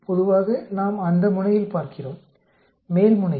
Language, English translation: Tamil, Generally we look on that side, upper side